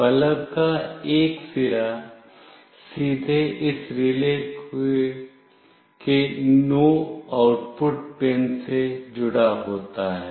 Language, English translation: Hindi, One end of the bulb is directly connected to NO output pin of this relay